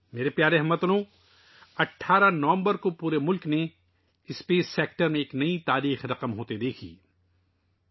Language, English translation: Urdu, My dear countrymen, on the 18th of November, the whole country witnessed new history being made in the space sector